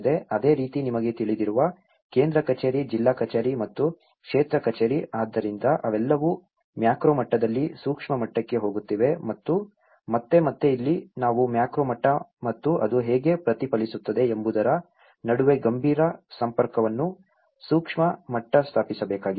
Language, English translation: Kannada, Similarly, central office, district office and the field office you know, so they are all going in a macro level to the micro level and again and here, we need to establish a serious contact between a macro level and how it is also reflected in the micro level